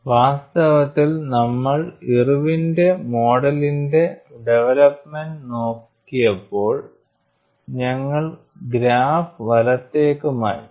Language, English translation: Malayalam, In fact, when you looked at the development of Irwin's model we shifted the graph to the right, something similar to that is being stated here